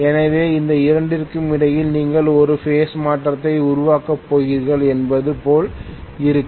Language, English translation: Tamil, So it will look as though you are going to create a phase shift between these two